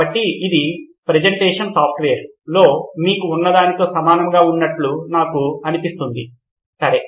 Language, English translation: Telugu, So it sounds to me like it is very similar to what you had in the presentation software, okay